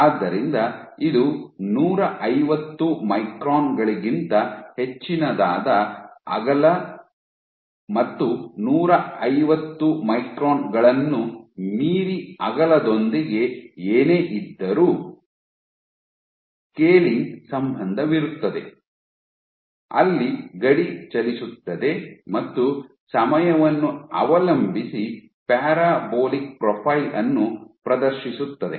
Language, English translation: Kannada, So, this for w greater than 150 microns, beyond 150 microns whatever with the width you have a scaling relationship where the border moved depending in an exhibited a parabolic profile on the time t